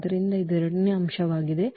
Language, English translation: Kannada, So, that will be the second element